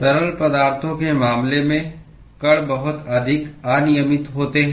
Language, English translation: Hindi, In the case of fluids, the particles are much more random